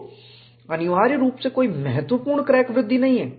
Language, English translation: Hindi, So, essentially there is no significant crack growth